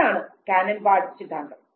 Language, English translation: Malayalam, This was Cannon Bards Theory